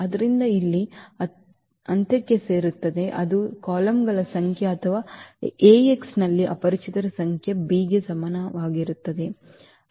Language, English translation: Kannada, So, this will add to the end here which are the number of columns or the number of unknowns in Ax is equal to b